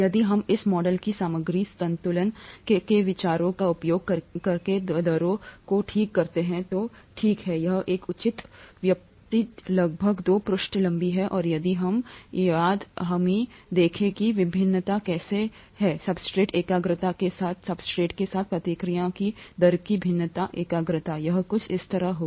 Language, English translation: Hindi, If we work out the rates by using this model and material balance considerations, okay, it’s a reasonable derivation, about two pages long and if we if we look at how the variation is with the substrate concentration, variation of the rate of the reaction with substrate concentration, it will be something like this